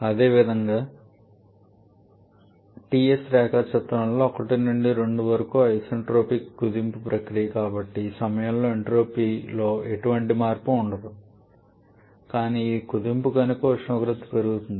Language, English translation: Telugu, Similarly TS diagram 1 to 2 is the isentropic compression process, so during which in there is no change in entropy but temperature increases because it is a compression